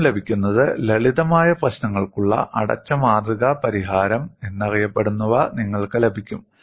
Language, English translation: Malayalam, First thing what you get is you get what is known as closed form solution for simple problems